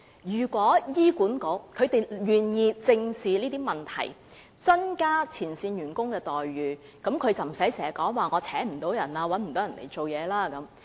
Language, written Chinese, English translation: Cantonese, 如果醫管局願意正視這些問題，增加前線員工的待遇，便不會出現聘請不到員工的問題。, If the Hospital Authority is willing to squarely address these problems and increase the remuneration of frontline personnel the failure to recruit nursing staff can be avoided